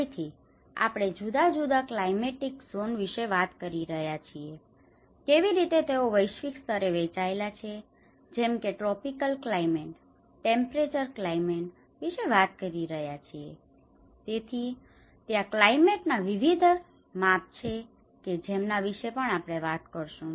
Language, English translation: Gujarati, Again, we are talking about different climatic zones, in a globally how they are divided like we are talking about the tropical climates, temperate climates, so there is a different scales of climate which we are also talking about